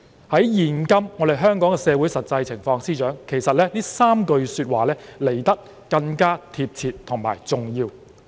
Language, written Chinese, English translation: Cantonese, 在現今香港社會的實際情況，司長，這3句說話來得更貼切及重要。, In the light of the current situation in Hong Kong Secretary these three sentences are more appropriate and important